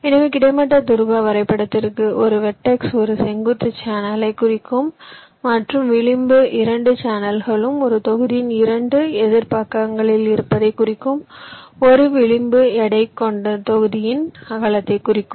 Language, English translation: Tamil, so for the horizontal polar graph, for example, vertex, a vertex will represent a vertical channel and edge will indicate that the two channels are on two opposite sides of a block